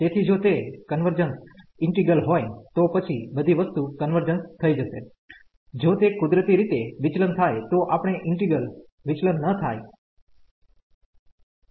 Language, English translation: Gujarati, So, if it is a convergent integral, then everything will converge; if it diverges naturally, the given integral will diverge